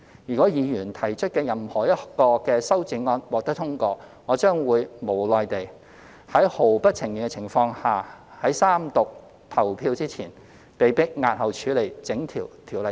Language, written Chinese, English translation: Cantonese, 如果議員提出的任何一項修正案獲得通過，我將會無奈地在毫不情願的情況下，被迫在三讀表決前押後處理整項《條例草案》。, If any amendment proposed by Members is passed I will have no alternative but to reluctantly postpone the entire Bill before it is put to vote during the Third Reading